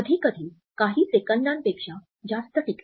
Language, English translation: Marathi, Sometimes lasting more than even a couple seconds